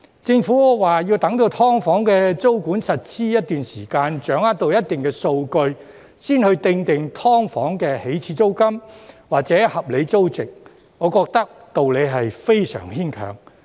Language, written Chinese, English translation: Cantonese, 政府說要待"劏房"的租管實施一段時間，掌握到一定數據，才訂定"劏房"的起始租金或合理租值，我覺得道理是非常牽強。, I think it is very far - fetched for the Government to say that the initial rent or reasonable rental value of SDUs will be determined only after the tenancy control of SDUs has been implemented for a period of time and certain data has been obtained